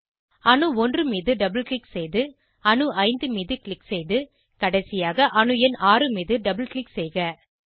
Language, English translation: Tamil, Double click on atom 1, click on atom 5 and lastly double click atom number 6